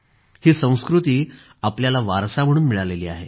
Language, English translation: Marathi, We have inherited this Indian tradition as a cultural legacy